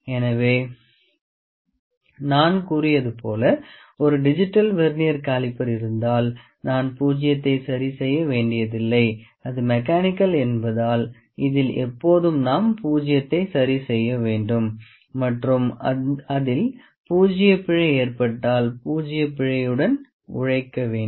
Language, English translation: Tamil, So, as I said if there is a digital Vernier caliper we need not to adjust the zero and in this case, this is the mechanical one we always have to adjust the zero and work with the zero error if it occurs